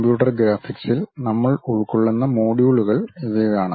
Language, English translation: Malayalam, These are the modules what we will cover in computer graphics